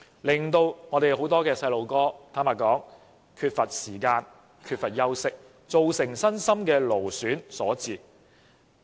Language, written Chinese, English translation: Cantonese, 這樣令很多小朋友缺乏空閒時間、缺乏休息，造成身心勞損。, As a result the children often feel exhausted both physically and mentally as they hardly have any time to rest and relax